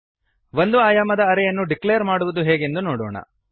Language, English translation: Kannada, Let us see how to declare single dimensional array